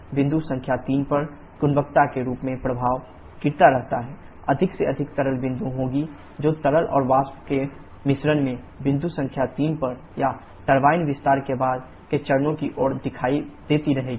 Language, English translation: Hindi, Infact as the quality at point number 3 keeps on dropping there will be more and more liquid droplets that keeps on appearing in the mixture of liquid and vapour, at point number 3 or towards the latter stages of the turbine expansion